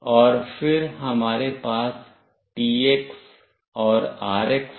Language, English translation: Hindi, And then we have TX and RX